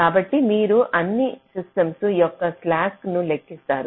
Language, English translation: Telugu, so you calculate the slack of all system